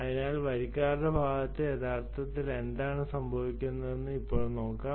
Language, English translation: Malayalam, so lets now see what actually happens at the subscribers side